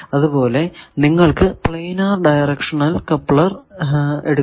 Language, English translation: Malayalam, So, this becomes a directional coupler